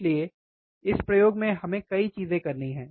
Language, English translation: Hindi, So, there are several things that we have to do in this experiment